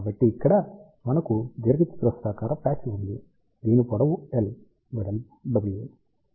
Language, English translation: Telugu, So, here we have a rectangular patch whose length is L width is W